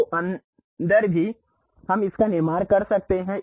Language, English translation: Hindi, So, inside also we can construct it